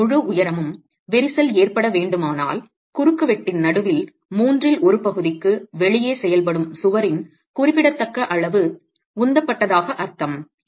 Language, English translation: Tamil, If the crack has to, if the entire height of the wall has to crack, it means a significant amount of the wall has thrust which is acting outside the middle one third of the cross section